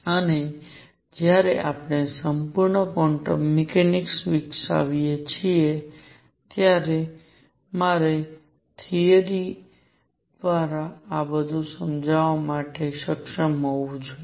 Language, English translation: Gujarati, And when we develop the full quantum mechanics I should be able to explain all this through proper theory